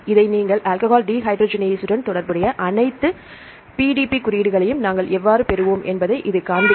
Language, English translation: Tamil, If you give this one then it will show you the all the PDB codes related with the alcohol dehydrogenase how we get